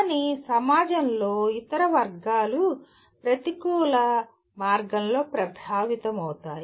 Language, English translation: Telugu, But other segment of the society may get affected by that in a negative way